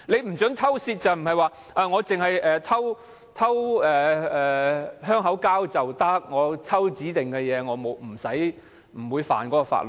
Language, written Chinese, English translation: Cantonese, 不准偷竊指可以偷香口膠，偷指定物品就不算犯法？, No theft but stealing of chewing gums or specified items is not an offence?